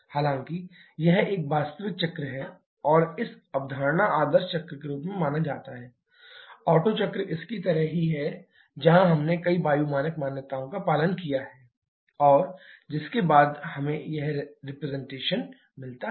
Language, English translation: Hindi, However, this is an actual cycle and this conceptualized in the form of an ideal cycle, the Otto cycle just like this, where we have assumed several air standard assumptions and following which we get this representation